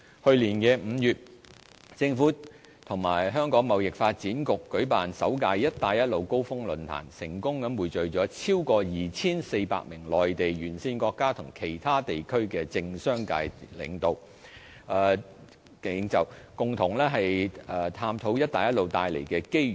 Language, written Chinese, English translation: Cantonese, 去年5月，政府與香港貿易發展局舉辦首屆"一帶一路"高峰論壇，成功匯聚超過 2,400 名內地、沿線國家及其他地區的政商界領袖，共同探討"一帶一路"帶來的機遇。, In last May the Government in association with the Hong Kong Trade Development Council TDC organized the first Belt and Road Summit . The event successfully gathered over 2 400 political and business leaders from the Mainland Belt and Road countries and other regions to explore the opportunities brought by the Belt and Road Initiative